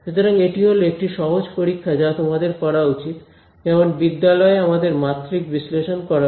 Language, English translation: Bengali, So, that is one simple check that you should do, like in school we should do dimensional analysis right